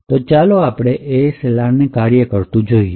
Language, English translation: Gujarati, So, let us look at ASLR in action